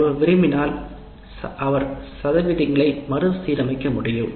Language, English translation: Tamil, If one wants, you can also rearrange the percentages as you wish